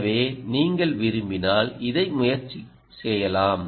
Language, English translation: Tamil, so you can try this if you wish